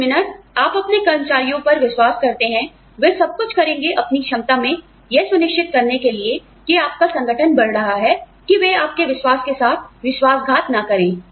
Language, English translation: Hindi, The minute, you trust your employees, they will do everything, in their capacity, to make sure that, your organization rises, that they do not betray your trust